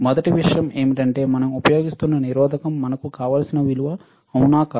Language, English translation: Telugu, First thing is, that whether the resistor we are using is of the value that we want